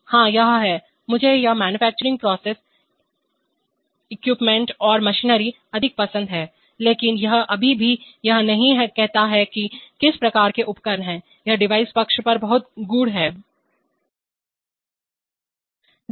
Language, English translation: Hindi, Yes, this is, I like it more of manufacturing process equipment and machinery but it still it does not say what kind of device these are, it is very cryptic on the device side